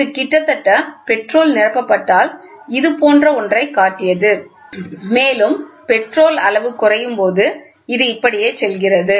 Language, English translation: Tamil, So, it showed like almost if the petrol is filled, it showed something like this and as and when the petrol level goes to down, it goes like this